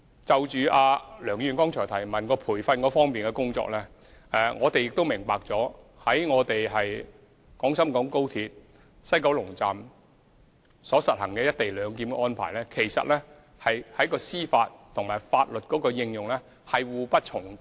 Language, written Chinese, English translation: Cantonese, 就梁議員剛才所提有關培訓工作的補充質詢，我們亦明白在廣深港高鐵西九龍站實行"一地兩檢"安排，在司法和法律運用上其實是互不重疊。, With regard to the question raised by Dr LEUNG just now on the provision of training we understand that in implementing the co - location arrangement at WKS of XRL there will actually be no overlapping in the administration of justice and the application of laws